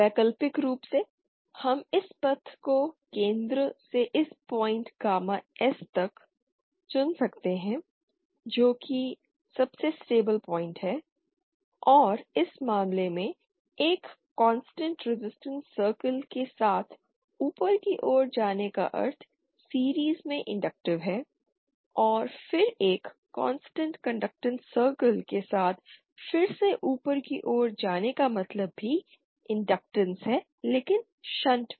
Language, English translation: Hindi, Alternatively we have could have chosen this path as well from the center to the this point gamma s which is the most stable point, and in this case going along a constant resistance circle upwards mean inductive in series, and then going upwards again along a constant conductance circle also means an inductance but in shunt